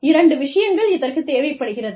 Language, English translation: Tamil, Two things, that are required